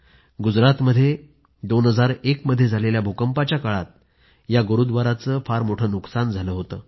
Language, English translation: Marathi, This Gurudwara suffered severe damage due to the devastating earth quake of 2001 in Gujarat